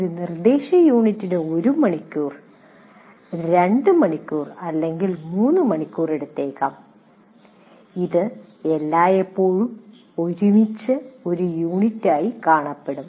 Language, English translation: Malayalam, So, an instructional unit may take maybe one hour, two hours or three hours, but it will be seen always as together as a unit